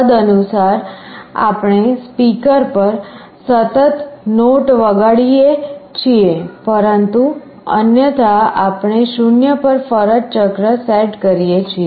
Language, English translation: Gujarati, Accordingly we play a continuous note on the speaker, but otherwise we set the duty cycle to 0